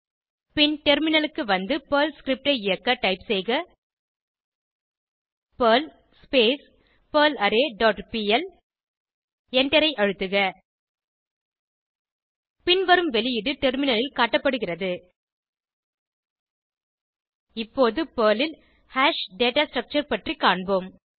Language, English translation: Tamil, Then switch to the terminal and execute the Perl script as perl scalars dot pl and press Enter The output shown on terminal is as highlighted Now, let us look at array data structure in PERL